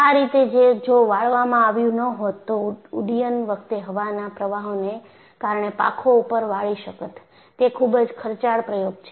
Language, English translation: Gujarati, This flexing was not done because in flight, the wings alsocan flex because of the air currents, and it is a very quiet expensive experiment